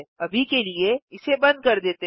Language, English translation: Hindi, For now lets switch it off